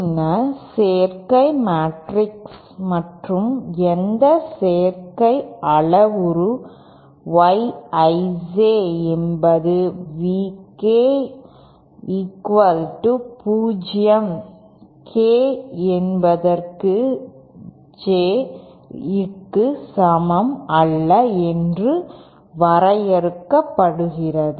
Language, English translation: Tamil, Then admittance matrix is defined as and any admittance parameter Y I J is defined as where V K is equal to 0, k not equal to J